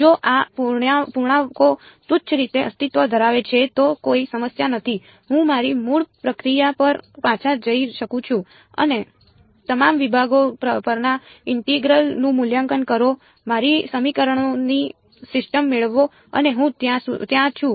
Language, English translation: Gujarati, If these integrals exist trivially then there is no problem I can go back to my original procedure evaluate the integral over all segments get my system of equations and I am there